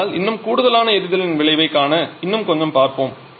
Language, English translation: Tamil, But still to see the effect of the supplementary firing let us investigate a bit more